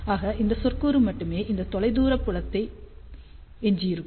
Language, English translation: Tamil, So, we will be left with only this term for far field